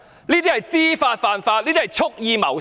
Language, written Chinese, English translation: Cantonese, 這是知法犯法，是蓄意謀殺。, They know the law but break the law and it is an act of intentional killing